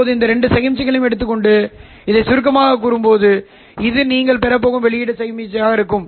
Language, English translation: Tamil, Now when you take these two signals and sum this, this would be the output signal that you are going to get